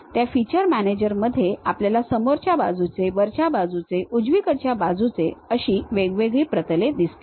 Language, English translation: Marathi, In that feature manager, we might be having something like front, top, right planes